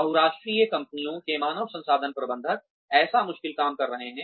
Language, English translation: Hindi, The human resources managers of multinational companies are doing, such a difficult job